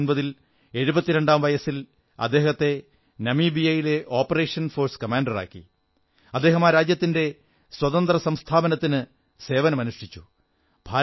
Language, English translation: Malayalam, In 1989, at the age of 72, he was appointed the Force Commander for an operation in Namibia and he gave his services to ensure the Independence of that country